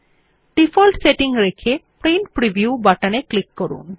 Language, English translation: Bengali, Let us keep the default settings and then click on the Print Preview button